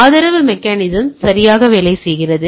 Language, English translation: Tamil, Support mechanism work correctly